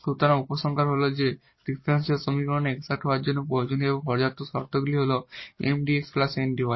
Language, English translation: Bengali, Well so, just a remark here the solution of the exact differential equation this Mdx plus Ndy